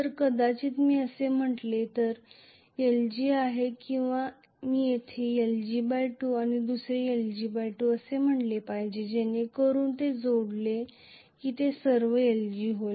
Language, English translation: Marathi, So, maybe if I say this is lg or I should call this as lg by 2 and another lg by 2 here so that when they add up it becomes lg that is all